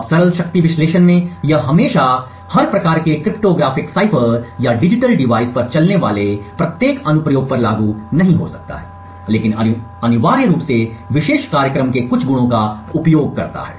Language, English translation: Hindi, Now in the simple power analysis it may not be always applicable to every type of cryptographic cipher or every application that is running on digital device, but essentially makes use of certain attributes of the particular program